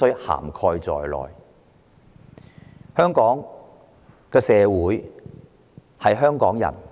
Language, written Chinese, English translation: Cantonese, 香港社會屬於香港人。, Hong Kong belongs to Hongkongers